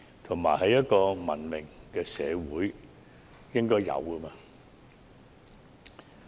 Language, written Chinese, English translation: Cantonese, 這是文明社會應有的嗎？, Is this something that should happen in a civilized society?